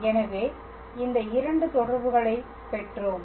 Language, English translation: Tamil, So, we derived these 2 relations